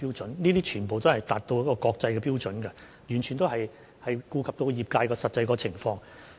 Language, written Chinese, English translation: Cantonese, 這些標準全都符合國際標準，完全顧及到業界的實際情況。, All these standards meet international standards and the actual circumstances of the industry have been taken into account